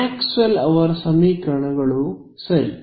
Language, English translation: Kannada, Maxwell’s equations right